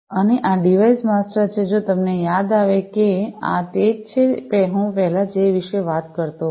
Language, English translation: Gujarati, And, this is this device master if you recall this is what I was talking about earlier